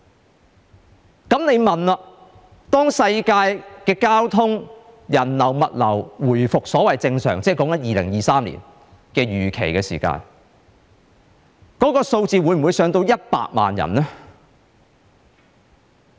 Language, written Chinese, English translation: Cantonese, 這樣我就會問，當全球交通、人流、物流預期在2023年回復正常的時候，數字會否上升至100萬人呢？, Then a question comes to my mind . When global transport and the flow of people and goods are expected to return to normal in 2023 will the number of emigrated Hong Kong people surpass 1 million?